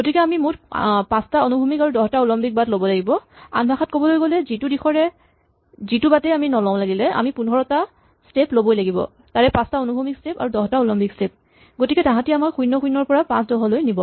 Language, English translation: Assamese, So, we have to make a total number of 5 horizontal moves and 10 vertical moves, in other words every path no matter which direction we started and which move, which choice of moves we make must make 15 steps and of these 5 must be horizontal steps and 10 must be vertical steps, because they all take us from (0, 0) to (5, 10)